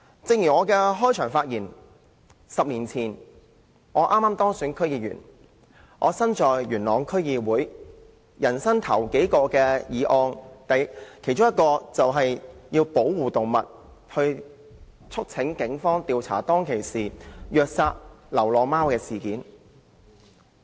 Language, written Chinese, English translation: Cantonese, 正如我在開始辯論時所言 ，10 年前我剛當選元朗區區議員，其中一項首要工作，就是提出有關保護動物的議案，促請警方調查當時虐待流浪貓的事件。, As I have said at the beginning of the debate when I was just elected a District Council member of the Yuen Long District 10 years ago one of the primary tasks was to move a motion on animal protection urging the Police to investigate the abuse of stray cats back then